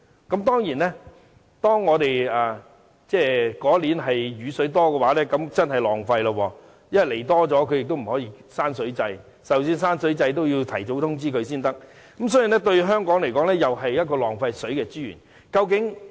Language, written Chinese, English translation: Cantonese, 固然，雨量較多的年份是真的浪費了，因為供水多了也不可以關水掣，即使要關水掣也要提早通知才行，所以對香港來說是浪費水資源的。, It is true that there has been wastage during years with high rainfall due to excess water supply . But the supply quantities cannot be reduced at will because quantity adjustment has to be negotiated in advance